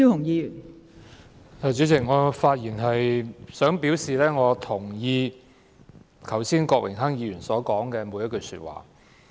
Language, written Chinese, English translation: Cantonese, 代理主席，我發言是想表示我認同郭榮鏗議員剛才所說的每句話。, Deputy President I wish to say that I agree with every word Mr Dennis KWOK said just now